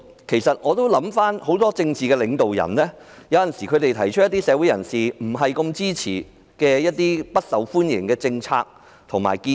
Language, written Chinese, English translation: Cantonese, 其實很多政治領導人有時也會提出一些社會人士不太支持的不受歡迎的政策和建議。, As a matter of fact sometimes many political leaders would propose unpopular policies or measures commanding not much support from members of the community